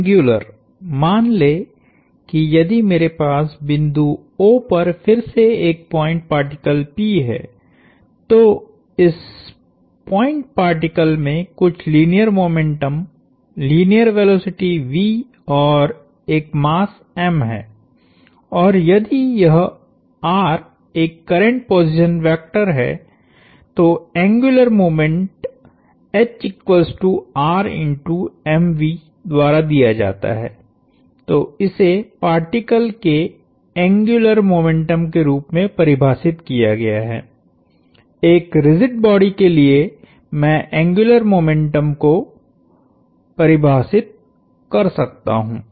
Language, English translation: Hindi, The angular, let’s say if I have a point particle P again at a point O, this point particle has some linear momentum, linear velocity v and a mass m and if this r is a current position vector, the angular moment is given by r crossed into m v